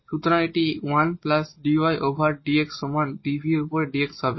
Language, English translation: Bengali, So, this is 1 plus dy over dx is equal to dv over dx and then this dy over dx will be dv over dx minus 1